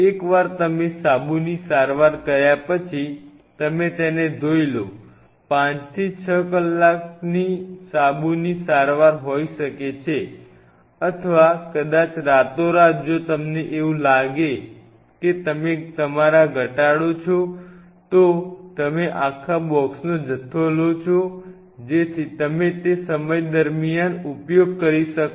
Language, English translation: Gujarati, Once you do the soap treatment then you wash it, may be a soap treatment of 5 6 hours or maybe overnight if you feel like that we you know you reduce your you take a bunch of them the whole box so, that you can use it over a period of time